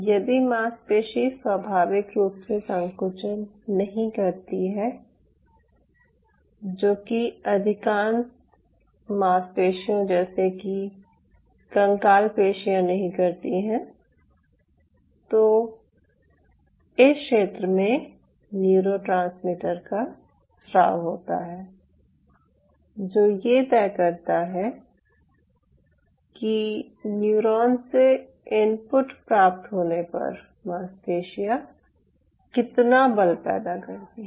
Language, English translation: Hindi, if the muscle is not, ah, spontaneously contracting muscle, which most of our muscles are, not the skeletal muscle, and it is the neurotransmitter which is secreted at this zone kind of decides the force muscle will generate upon receiving input from moto neuron